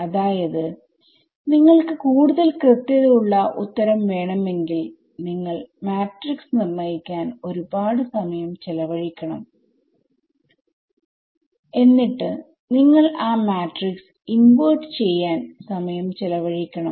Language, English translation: Malayalam, So, that tells you that you know if you wanted a very accurate answer you would have to spend a lot of time in evaluating the matrix itself, then you would spend time in inverting that matrix